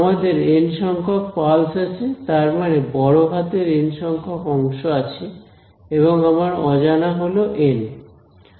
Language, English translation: Bengali, What I have N capital N pulses right; that means, there are capital N segments over here and my number of unknowns are N N